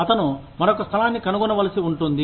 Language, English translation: Telugu, He may need to find, another place